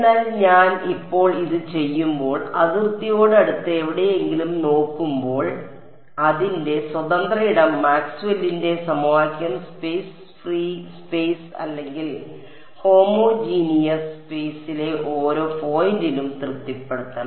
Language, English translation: Malayalam, But when I do this now when I look anywhere close to the boundary because its free space Maxwell’s equation should be satisfied at each point in space free space or homogeneous space I will get a plane wave